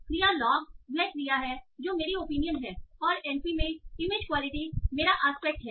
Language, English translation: Hindi, So, love is the verb, that is my opinion here and image quality in np is my aspect